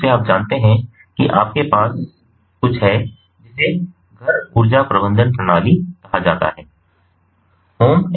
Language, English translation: Hindi, so basically, you know what happens is you have something called the home energy management systems